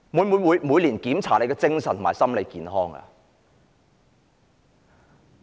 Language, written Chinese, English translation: Cantonese, 會否每年檢查官員的精神和心理健康呢？, Are there mental and psychiatric check - ups for public officers annually?